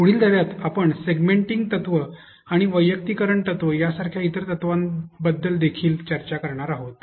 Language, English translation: Marathi, In the next lesson, we are also going to discuss about other principles like segmenting principle and also personalization principle